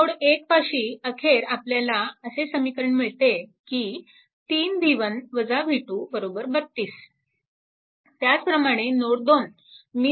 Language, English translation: Marathi, So, this is at node 1 you will get this equation finally, is it coming 3 v 1 minus v 2 is equal to 32